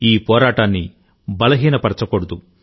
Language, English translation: Telugu, We must not let this fight weaken